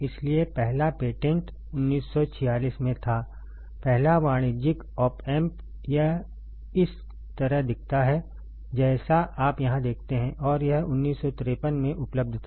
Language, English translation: Hindi, So, the first patent was in 1946; the first commercial op amp, it looked like this you see here and it was available in 1953, 1953